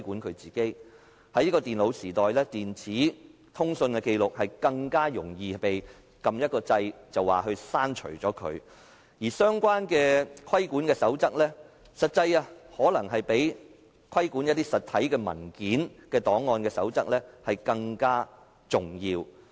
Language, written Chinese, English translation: Cantonese, 在現今的電腦時代，電子的通訊紀錄更加容易銷毀，只需要按一個掣便可以刪除，而相關的規管守則可能比規管實體文件檔案的守則更加重要。, In this computer age nowadays it is far easier to destroy for electronic records of communication for they can be deleted simply at the press of a button . Rules for regulating these records may be more important than those governing physical documents and records